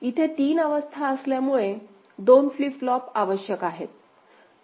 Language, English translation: Marathi, We know 3 states means 2 flip flops will be required